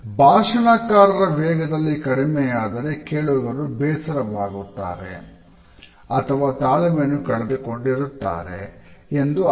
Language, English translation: Kannada, If the speaker’s average speed is very slow, the listener becomes bored and impatient